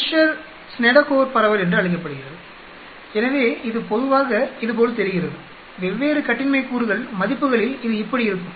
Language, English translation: Tamil, This is called a Fisher Snedecor distribution, so it generally looks like this, at different values of degrees of freedom it will look like this